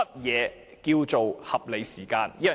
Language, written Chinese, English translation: Cantonese, 何謂"合理時間"？, What is meant by reasonable time?